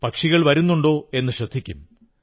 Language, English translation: Malayalam, And also watch if the birds came or not